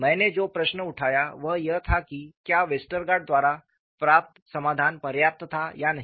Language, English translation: Hindi, The question I raised was, whether the solution obtained by Westergaard was sufficient or not